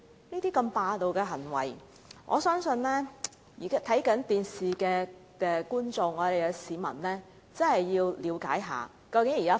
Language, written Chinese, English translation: Cantonese, 如此霸道的行為，我相信正在收看直播的市民必須了解一下現正的情況。, Regarding such overbearing behaviour I believe people watching the live broadcast must have an understanding of the present situation